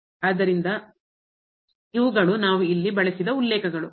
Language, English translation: Kannada, So, these are the references we used here